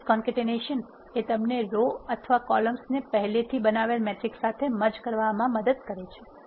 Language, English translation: Gujarati, Matrix concatenation refers to merging of rows or columns to an existing matrix